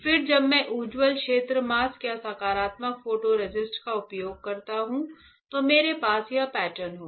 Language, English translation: Hindi, Then when I use bright field mask and positive photo resist, then I will have this pattern